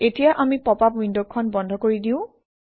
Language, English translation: Assamese, Let us now Close the popup window